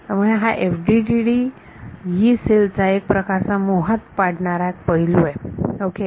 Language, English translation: Marathi, So, this is one of the sort of elegant aspects of the FDTD Yee cell ok